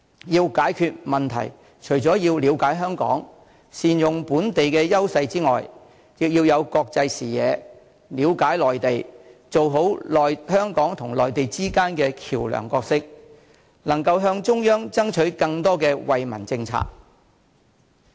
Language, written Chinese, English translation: Cantonese, 要解決問題，除要了解香港、善用本地的優勢之外，亦要有國際視野、了解內地、做好香港與內地之間的橋樑角色，以及能夠向中央爭取更多惠民政策。, In order to tackle problems apart from knowing Hong Kong well and capitalizing on our advantages the Chief Executive must also have a global vision and a good understanding of the Mainland serve as a bridge between the Mainland and Hong Kong and persuade the Central Authorities to roll out more policies for the benefit of Hong Kong people